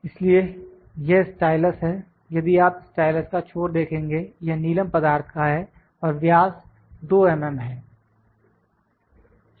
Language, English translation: Hindi, So, this is stylus, if you see the tip of the stylus this is sapphire ball this is of sapphire material then the diameter is 2mm